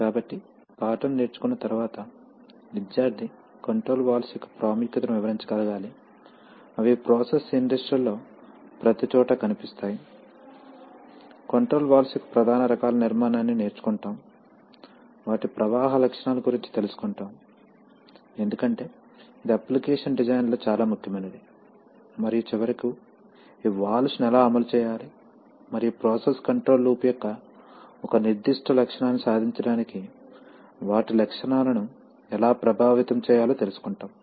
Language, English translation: Telugu, So after learning the lesson the student should be able to describe the importance of flow control valves, they are found everywhere in process industries, learn the structure of major types of flow control valves, learn about their flow characteristics because that is very important in designing the applications, and finally the, how to actuate these valves and how to affect their characteristics to achieve a certain characteristic of the process control loop